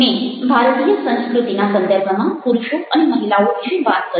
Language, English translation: Gujarati, culture and convention i talked about men and women in India